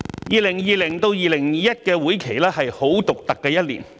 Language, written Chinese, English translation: Cantonese, 2020-2021 年度的會期是很獨特的一年。, The legislative session of 2020 - 2021 was a very special one